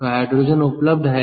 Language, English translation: Hindi, so hydrogen is available